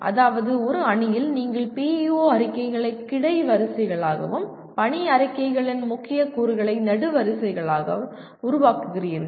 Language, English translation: Tamil, That means you create a matrix with PEO statements as the rows and key elements of the mission statements as the columns